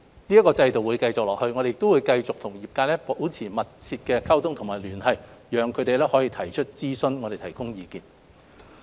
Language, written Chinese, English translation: Cantonese, 這個制度會繼續下去，我們亦會繼續與業界保持密切的溝通和聯繫，讓他們可以提出諮詢，而我們可以提供意見。, This regime will be maintained and we will continue to liaise closely with the industry so that they can consult us and we can give them advices